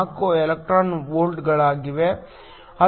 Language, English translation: Kannada, 4 electron volts